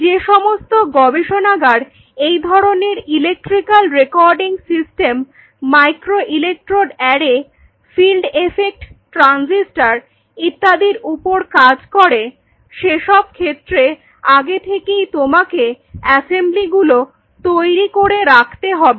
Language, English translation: Bengali, So, many of the labs who work on these kind of electrical recording systems yeah microelectrode arrays field effect transistors you work on